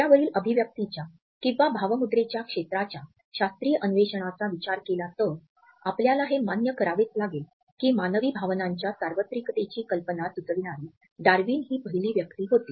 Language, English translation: Marathi, As for as a scientific investigation in this area of facial expressions was concerned, we have to acknowledge that Darwin was the first person to suggest the idea of the universality of human emotions